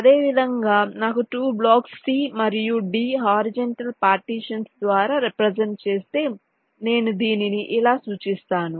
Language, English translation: Telugu, similarly, if i have a scenario where two blocks, say c and d, represent by horizontal partitions, i represent it as this